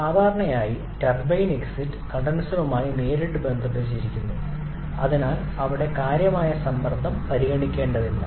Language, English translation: Malayalam, Then generally turbine exit is directly connected to the condenser, so there is no significant pressure has to be considered